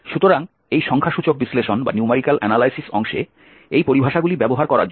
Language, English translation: Bengali, So it is just to use these terminologies in these numerical analysis portion